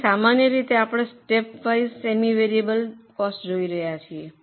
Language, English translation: Gujarati, So, typically we are looking at step wise semi variable costs